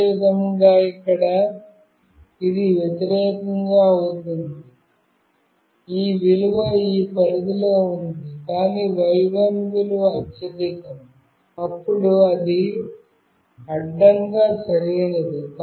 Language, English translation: Telugu, Similarly, here it will be the opposite; this value is in this range, but y1 value is highest, then it is horizontally right